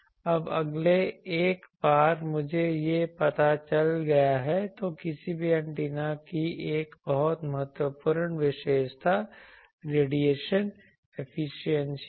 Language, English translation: Hindi, Now, next is once I know this, then a very important characteristic of any antenna is radiation efficiency